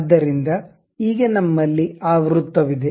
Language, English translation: Kannada, So, we have that circle